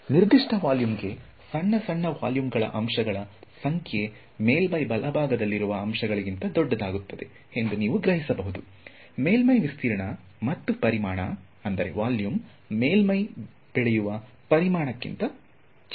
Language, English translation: Kannada, And you can imagine that for a given volume, the number of small small volume elements will become much larger than the elements that are on the surface right; surface area versus volume which one grows surface remains smaller than volume right